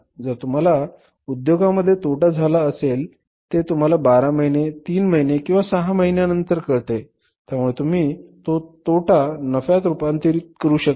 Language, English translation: Marathi, If business has incurred a loss and you come to know after 12 months or 3 or 6 months you can convert that loss into profit